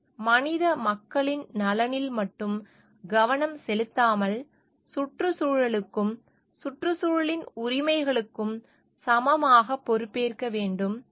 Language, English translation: Tamil, Where we are not only focused on the benefit of the human population, but we have to be equally responsible for the environment, and the rights of the environment